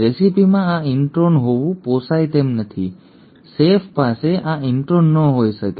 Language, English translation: Gujarati, The recipe cannot afford to have this intron, the chef cannot have this intron